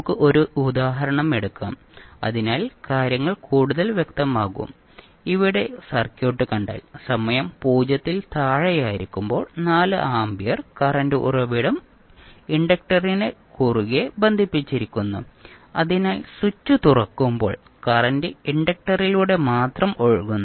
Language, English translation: Malayalam, Let us take 1 example so that the things are more clear, here if you see the circuit the 4 ampere current source is connected across the inductor so at time t less than 0 when the switch is opened, the current is flowing only through the inductor so you can say that at time t less than 0 the circuit is divided into 2 parts